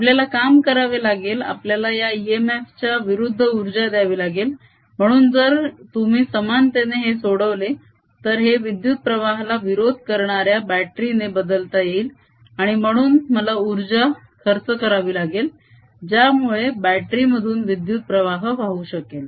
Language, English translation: Marathi, we have to work, then we have to supply energy to overcome this e m, f, so that, if you make an analogy, this can be replaced by a battery which is opposing the current and therefore i have to supply energy so that the current passes through the this battery